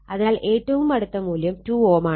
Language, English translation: Malayalam, So, closest value is 2 ohm only, because as it is 0